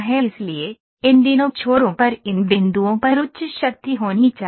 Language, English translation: Hindi, So, these two ends should have higher strength at these points